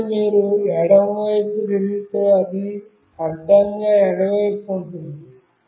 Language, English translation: Telugu, And then if you turn left, it will say horizontally left